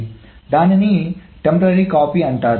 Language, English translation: Telugu, So there is a temporary copy